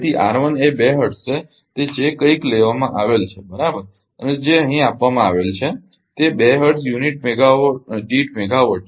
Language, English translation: Gujarati, So, R 1 is 2 hertz whatever is taken right and whatever is given here 2 hertz per unit megawatt